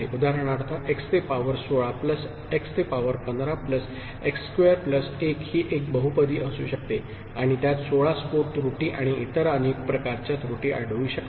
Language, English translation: Marathi, For example, x to the power 16 plus x to the power 15 plus x square plus 1 could be one such polynomial and it can detect up to 16 burst error and many other types of errors